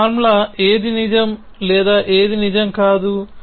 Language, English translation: Telugu, So, what does this formula true or not true